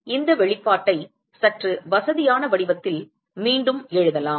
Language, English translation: Tamil, So, we can rewrite this expression in a slightly more convenient form